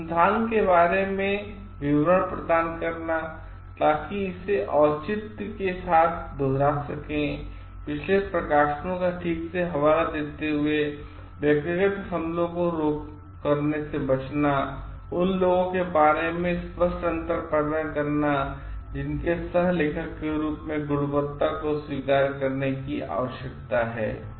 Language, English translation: Hindi, Providing details about research, so that others can replicate it with justification, citing previous publications properly, refraining from doing personal attacks, creating clear distinction concerning those whose quality as co authors are need to be acknowledged